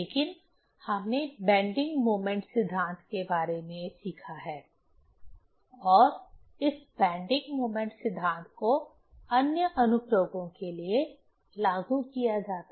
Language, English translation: Hindi, But we have learnt about the bending moment theory and this bending moment theory is applied for other applications